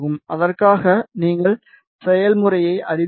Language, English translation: Tamil, For that you know the procedure